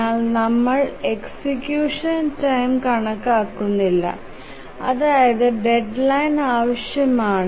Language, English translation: Malayalam, But then we don't consider how much execution time is required over the deadline